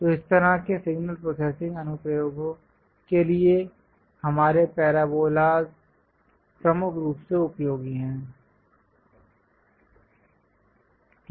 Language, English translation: Hindi, So, our parabolas are majorly useful for this kind of signal processing applications